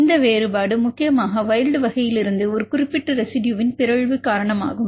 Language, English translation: Tamil, This difference is mainly due to the mutation of a particular residue from the wild type